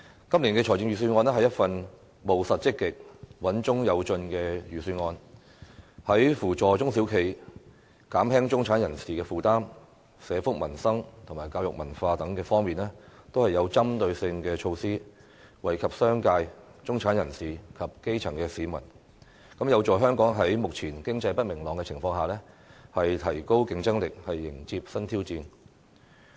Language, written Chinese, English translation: Cantonese, 今年的預算案是一份務實積極、穩中有進的預算案，在扶助中小企、減輕中產人士負擔、社福民生和教育文化等方面均有針對性的措施，惠及商界、中產人士及基層市民，有助香港在目前經濟不明朗的情況下，提高競爭力，迎接新挑戰。, The Budget this year is pragmatic proactive and steadily progressive . It introduces targeted measures in areas such as assisting small and medium enterprises reducing the burden on middle - class people social welfare peoples livelihood education and culture so as to benefit the business sector the middle class and the grass roots and help Hong Kong enhance its competitiveness and embrace new challenges amidst the current economic uncertainty